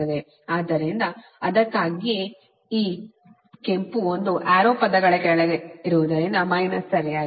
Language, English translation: Kannada, so thats why this red one arrow is down words, because subtraction right